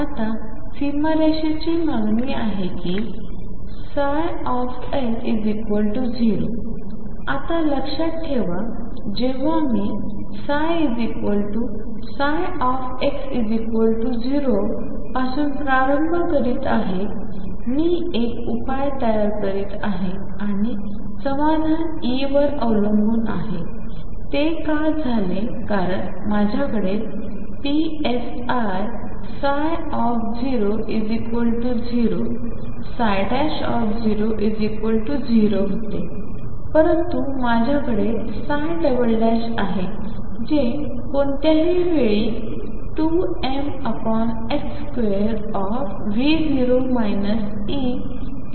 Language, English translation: Marathi, Now boundary condition demands that psi L be equal to 0, remember now when I am starting from psi equal to psi at x equals 0, I am building up a solution and the solution depends on E; what is that happened because I had a psi 0 equal to 0 psi prime equal to 0, but I have psi double prime at any point which is given as 2 m over h cross square V 0 minus E psi